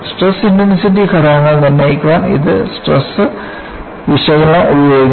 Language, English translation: Malayalam, It uses stress analysis to determine the stress intensity factors